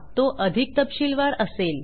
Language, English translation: Marathi, It will be more specific